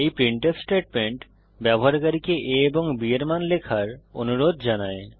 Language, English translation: Bengali, This printf statement prompts the user to enter the values of a and b